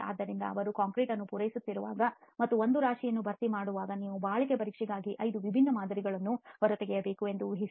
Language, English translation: Kannada, So while they are supplying the concrete and filling up one pile imagine that you need to pull out 5 different samples for durability tests